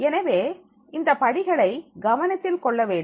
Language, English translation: Tamil, So these steps are to be taken care of